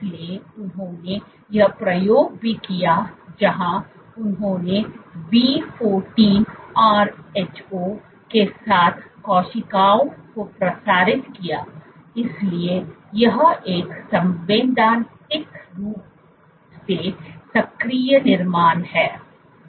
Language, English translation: Hindi, So, they also did this experiment where they transmitted cells with V14 Rho, so it is a constitutively active construct